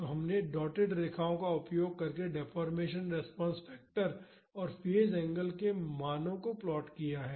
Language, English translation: Hindi, So, we have plotted the values of the deformation response factor and the phase angle using dotted lines